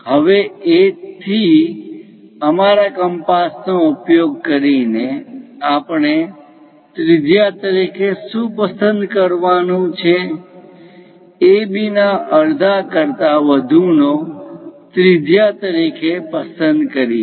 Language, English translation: Gujarati, Now, using our compass from A; what we have to do is; pick a radius, pick a radius greater than half of AB